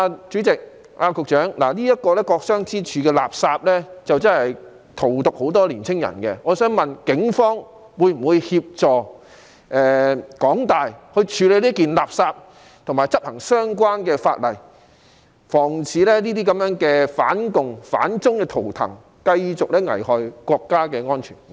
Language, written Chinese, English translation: Cantonese, 主席，局長，"國殤之柱"這件垃圾，真是荼毒了很多年青人，我想問警方會否協助港大處理這件垃圾，以及執行相關的法例，防止這些反共、反中的圖騰繼續危害國家安全？, President Secretary the Pillar of Shame is a piece of rubbish that has indeed poisoned many young people . May I ask the Police whether they will assist HKU in handling that piece of rubbish and enforcing the relevant legislation to prevent this kind of anti - communist and anti - China totems from continuing to endanger national security?